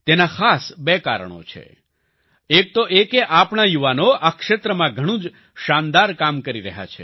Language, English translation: Gujarati, There are two special reasons for this one is that our youth are doing wonderful work in this field